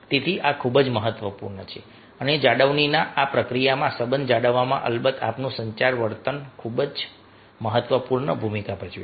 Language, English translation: Gujarati, so this is very, very important and in this process of maintenance, maintaining the relationship, our communication behavior, of course its playing very, very, very important role